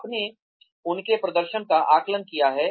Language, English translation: Hindi, You have assessed their performance